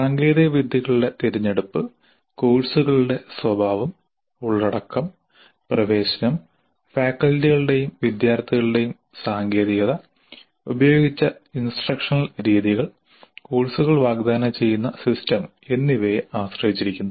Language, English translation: Malayalam, The choice of technologies depends on the nature of the courses, the content, the access, comfort levels of faculty and students with the technology, instructional methods used, and system under which the courses are offered